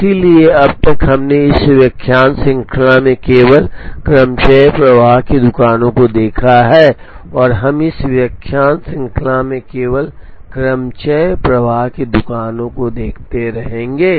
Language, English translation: Hindi, So, far we have seen only permutation flow shops in this lecture series and we will continue to look only at permutation flow shops in this lecture series